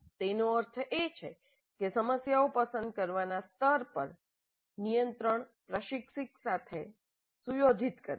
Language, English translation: Gujarati, That means at the level of choosing the problems the control rests with the instructor